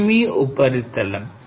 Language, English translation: Telugu, This is your surface